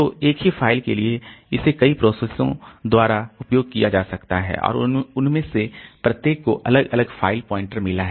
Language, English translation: Hindi, So, for the same file it may be used by several processes and each of them have got different file pointer